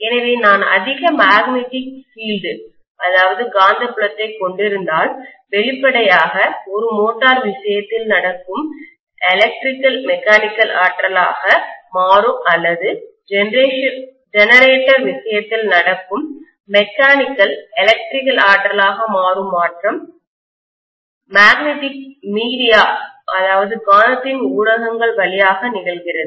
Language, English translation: Tamil, So if I have higher magnetic field, obviously the electrical to mechanical energy conversion that takes place in the case of a motor or mechanical to electrical energy conversion that takes place in the case of generator, it happens through magnetic via media